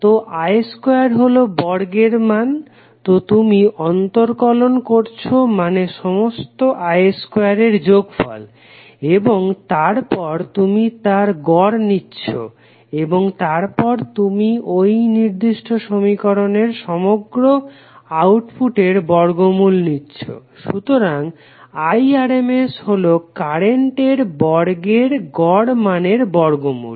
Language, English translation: Bengali, So I square is the square value, so you take the integral means summation of all I square component and then you take the mean and then you take the under root of the complete output of this particular equation, so I effective is nothing but root of mean square value of the current element